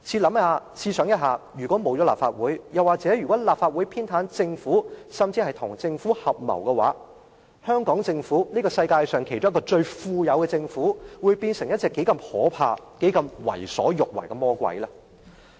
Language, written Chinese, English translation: Cantonese, 大家試想一想，如果沒有立法會，又或者立法會偏袒政府甚至跟政府合謀，香港政府這個名列世界上一個最富有的政府，會否變成一隻可怕而且能夠為所欲為的魔鬼呢？, Come to think about this . If the Legislative Council does not exist or if the Legislative Council favours or colludes with the Government will the Hong Kong Government as one of the richest governments in the world turn into a devil capable of doing whatever it wants?